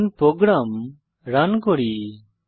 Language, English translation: Bengali, Lets run the program